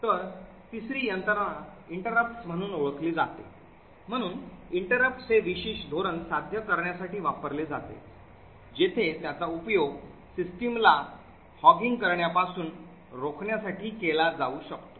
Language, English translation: Marathi, So, the third mechanism is known as interrupts, so interrupts are used to achieve this particular policy where it can use be used to prevent one application from hogging the system